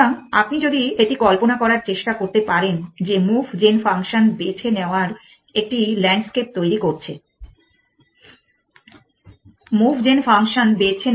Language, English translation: Bengali, So, if you can try imagine this that choosing move gen function is also devising the landscape